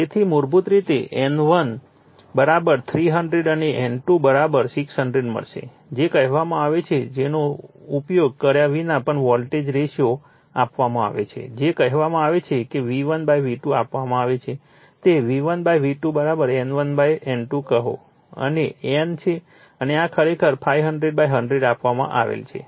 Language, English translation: Gujarati, So, basically you will get N1 = 300 and N2 = 60 in your what you call even without using this the voltage ratio is given your what you call V1 / V2 is given your this is your V1 / V2 = say N1 / N2 right and N and this is given actually 500 / 100 actually will 5